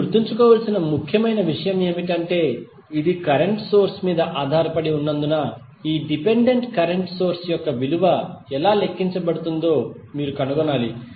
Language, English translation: Telugu, The important thing which you have to remember is that since it is dependent current source you have to find out how the value of this dependent current source would be calculated